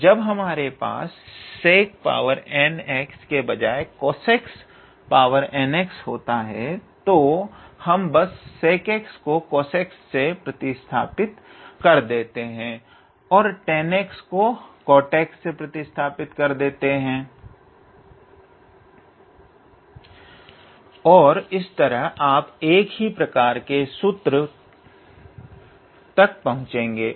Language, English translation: Hindi, So, instead, so when you have when instead of sec x if you have cosec n x then we just replace this sec x by cosec x and we replace tan x by cot x and then you will pretty much end up with a similar type of formula